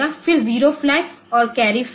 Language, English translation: Hindi, Then zero flag and carry flag